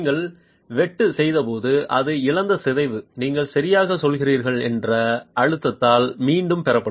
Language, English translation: Tamil, The deformation it lost when you made the cut will be regained by the pressurizing that you are doing